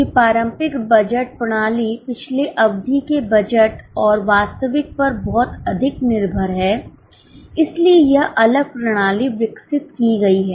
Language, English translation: Hindi, Since the traditional budgeting system is heavily dependent on last periods budget and actual, this different system has been evolved